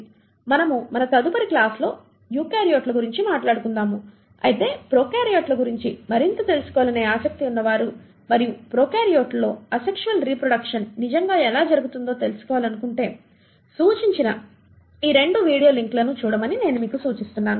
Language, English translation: Telugu, We will talk about the eukaryotes in our next class, but for those who are interested to know more about prokaryotes and how the asexual reproduction in prokaryotes really happens, I would suggest you to go through the 2 suggested video links and with that we conclude this video and we will meet again in the next one, thank you